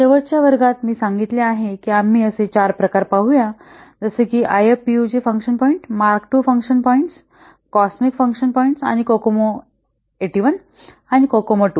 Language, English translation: Marathi, Last class I have told we will see four types of these estimations like IFPUG function points, Mark 2 function points, cosmic function points and Kokome 81 and Kokomo 2